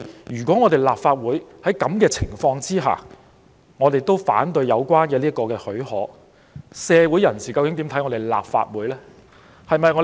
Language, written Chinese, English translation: Cantonese, 如果立法會在這種情況下反對給予許可，社會人士會對立法會有何印象？, If the Council refuses to give leave under such circumstances what impression will the public have on the Council?